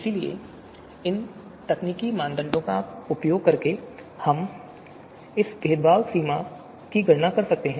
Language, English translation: Hindi, So therefore, using these technical parameters, we can compute this discrimination threshold